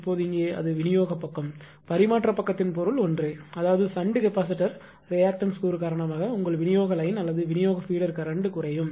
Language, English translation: Tamil, Now, here it is distribution side there is transmission side meaning is same; that means, ah your that your distribution line or distribution feeder because of the shunt capacitor reactive component of the current will decrease